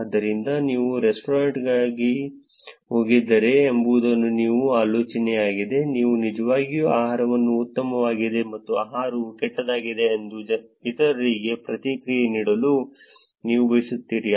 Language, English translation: Kannada, So, the idea is you got to restaurant you have food you want to actually give feedback to others saying the food was good or the other way the food was bad